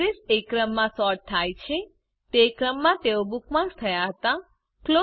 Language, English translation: Gujarati, The address are sorted by the order in which they were added as bookmarks